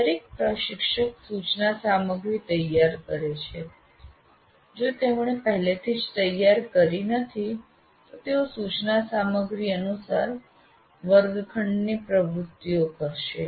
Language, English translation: Gujarati, Now, every instructor prepares instruction material if he is already prepared, he will be conducting the classroom activities according to that instruction material